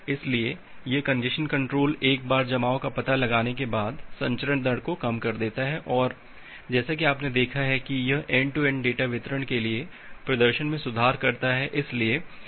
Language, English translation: Hindi, So, this congestion control it reduces the transmission rate once congestion is detected and as you have seen that it improves the performance for end to end data delivery